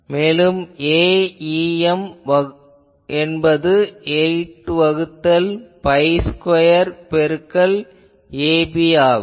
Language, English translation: Tamil, But what is my A em, just look at here so, A em is 8 by pi square into ab